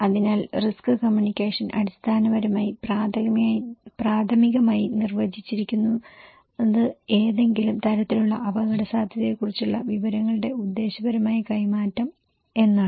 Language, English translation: Malayalam, So risk communication basically, primarily defined as purposeful exchange of information about some kind of risk